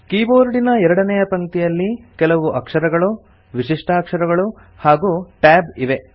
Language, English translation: Kannada, The second line of the keyboard comprises alphabets few special characters, and the Tab key